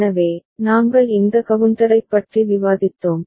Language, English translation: Tamil, So, we had been discussing this up counter